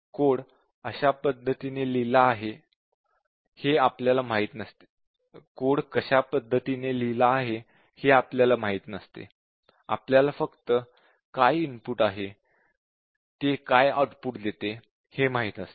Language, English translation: Marathi, We do not know how the code has been written; we just know what is the input that it takes and what is the output it produces